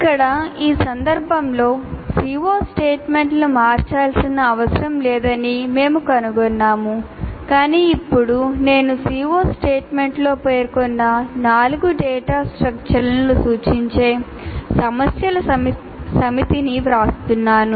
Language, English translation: Telugu, Here in this case we find that there is no need to change the C O statement but now I write a set of problems that represent all the three data structures that were mentioned in the C O statement